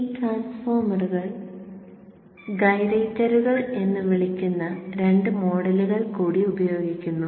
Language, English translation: Malayalam, Now this transformer uses two further models called gyraters and theretor is modeled here